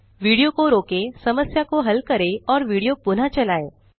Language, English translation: Hindi, Pause the video,solve the problem and resume the video